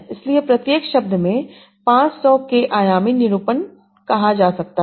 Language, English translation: Hindi, So, each word might have a, say, 500k dimensional representation